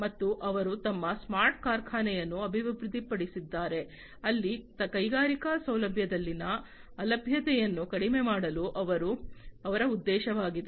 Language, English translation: Kannada, And they have developed their smart factory, where the objective is to minimize the downtime in the industrial facility